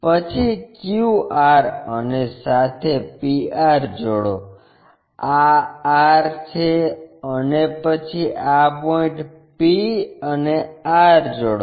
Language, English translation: Gujarati, Then join q r and join p r; this is r and then join this point p and r